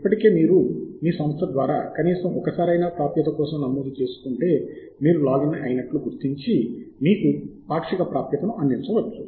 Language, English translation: Telugu, if you have already registered for access through your Institute, at least once, then it may effect that you have logged in and the provide you partial access